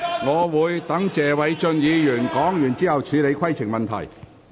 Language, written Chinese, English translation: Cantonese, 我會待謝偉俊議員發言完畢，才處理規程問題。, I will deal with the points of order after Mr Paul TSE has finished speaking